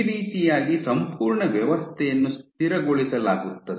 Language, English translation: Kannada, So, that is how this entire system is stabilized